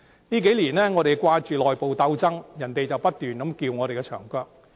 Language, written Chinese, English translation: Cantonese, 這數年來，我們只顧着內部鬥爭，卻不斷被人"撬牆腳"。, In these few years while we are focused on our internal dissension our competitive edges have been slipping away